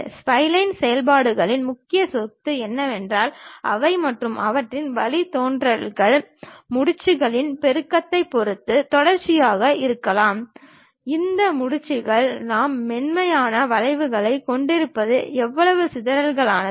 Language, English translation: Tamil, The key property of spline functions is that they and their derivatives may be continuous depending on the multiplicity of knots, how complicated these knots we might be having smooth curves